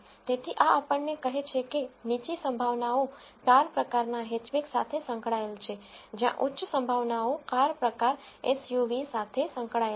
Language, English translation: Gujarati, So, this tells us that the lower probabilities are associated with the car type hatchback where as the higher probabilities are associated with the car type SUV